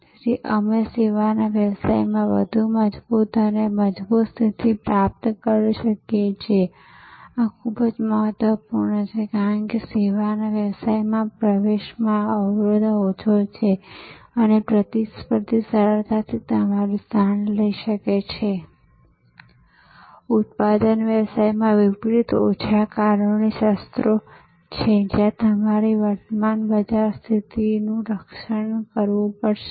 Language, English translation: Gujarati, So, that we can acquire a stronger and stronger position in the services business, this is very important, because in services business barrier to entry is low, another competitor can easily take your position, unlike in product business there are fewer legal weapons that you have to protect your current market position